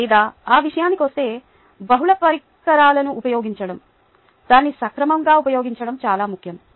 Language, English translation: Telugu, or, for that matter, using multiple devices: being organized in its use is very important